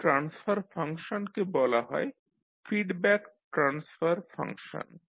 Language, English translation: Bengali, So this particular transfer function is called feedback transfer function